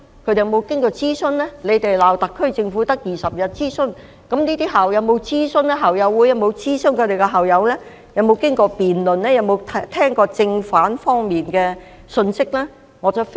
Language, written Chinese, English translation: Cantonese, 泛民議員罵特區政府只有20天進行諮詢，那這些校友會在發表聲明前，有否諮詢過校友、經過辯論，並聆聽正反兩面的觀點呢？, The pan - democratic Members scolded the SAR Government for conducting a consultation of only 20 days yet have these alumni associations consulted their alumni debated and listened to arguments of both sides before making the statements?